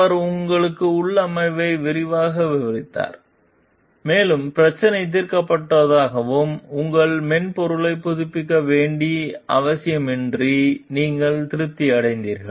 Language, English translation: Tamil, He described the configuration to you in detail and you were satisfied that the issue was solved and without the need to update your software